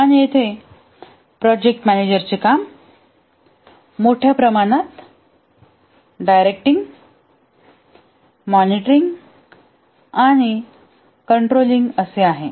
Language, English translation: Marathi, And here the work of the project manager is largely directing and monitoring and control